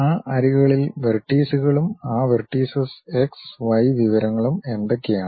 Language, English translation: Malayalam, And, in that edges which are the vertices and in those vertices what are the x y information